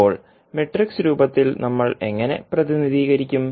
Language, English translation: Malayalam, Now in matrix form how we will represent